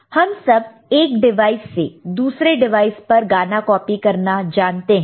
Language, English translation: Hindi, All of us are familiar with you know copying a song from one device to another device